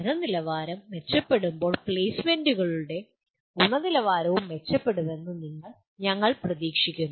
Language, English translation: Malayalam, When quality of learning is improved we expect the quality of placements will also improve